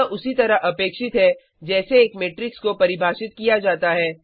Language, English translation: Hindi, This is expected in the way a matrix is defined